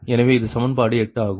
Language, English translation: Tamil, this is equation six